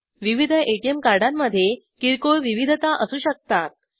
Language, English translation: Marathi, There could be minor variations in different ATM cards